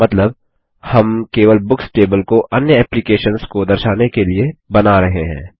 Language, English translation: Hindi, Meaning, we are marking only the Books table to be visible to other applications